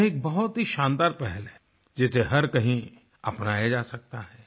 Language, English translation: Hindi, This is a great initiative that can be adopted anywhere